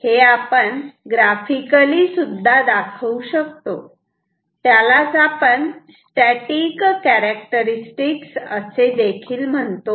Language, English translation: Marathi, This we also have represented graphically pictorially like this, which we call this static characteristic